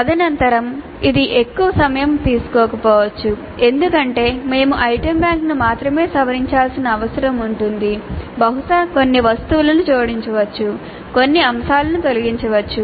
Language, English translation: Telugu, Subsequently it may not be that much time consuming because we need to only revise the item bank maybe add certain items, delete certain items